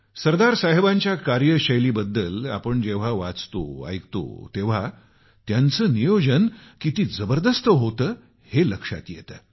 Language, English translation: Marathi, When we read and hear about Sardar Saheb's style of working, we come to know of the sheer magnitude of the meticulousness in his planning